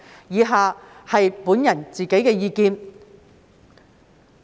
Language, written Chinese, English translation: Cantonese, 以下是我的個人意見。, I will then give my personal point of views